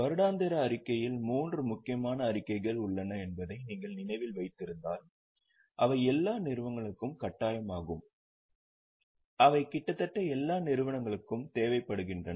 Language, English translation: Tamil, If you remember there are three important statements in an annual report which are mandatory for all the companies and in fact they are required for almost all the undertakings